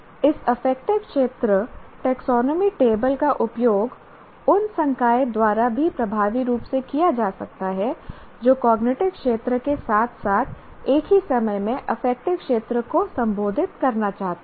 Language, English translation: Hindi, So, this affective domain taxonomy table also can be effectively used by the faculty who want to address the affective domains simultaneously along with the cognitive domain